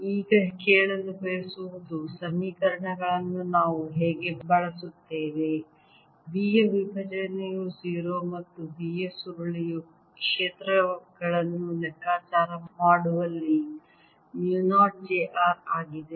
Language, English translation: Kannada, what we want to now ask is how do we use the equation that divergence of b is zero and curl of b is mu, not j